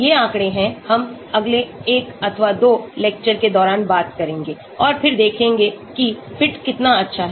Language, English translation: Hindi, These are statistics, we will talk about in the course of next one or two lectures and then see how good the fit is